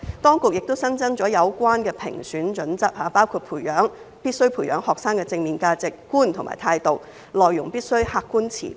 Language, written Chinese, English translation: Cantonese, 當局亦新增了有關的評選準則，包括必須培養學生的正面價值觀及態度，內容必須客觀持平。, Besides additional criteria for the selection have been introduced including the need to nurture students positive values and attitude and the need for objective and impartial contents